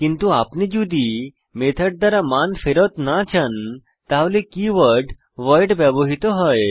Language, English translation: Bengali, But if you donât want the method to return a value then the keyword voidis used